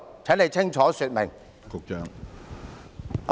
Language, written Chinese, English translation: Cantonese, 請局長清楚說明。, Can the Secretary please give a clear account?